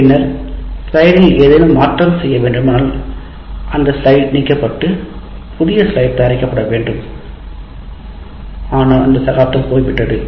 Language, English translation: Tamil, And then if you want to make any change, again you have to throw the old slide out and prepare another slide, but that era is gone